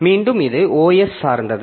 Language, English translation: Tamil, Again, this is OS dependent